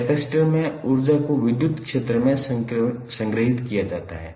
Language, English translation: Hindi, Capacitor is stored energy in the electric field